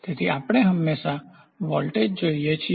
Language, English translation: Gujarati, So, we always look for voltage